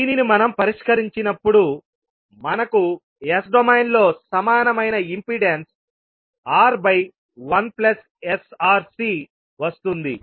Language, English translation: Telugu, When we solve that we will get equivalent impedance in s domain that is nothing but R by 1 plus sRC